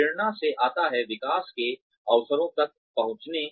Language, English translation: Hindi, Motivation comes from, access to opportunities for growth